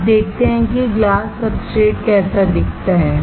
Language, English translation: Hindi, Now, let us see how the glass substrate looks like